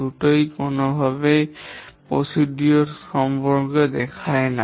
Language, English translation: Bengali, Neither does it show any precedence relationship